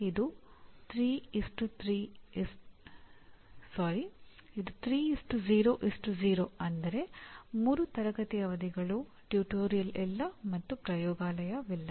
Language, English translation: Kannada, It is 3:0:0 that means 3 classroom session, no tutorial and no laboratory